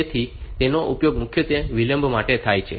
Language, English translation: Gujarati, So, it is used mainly for in delay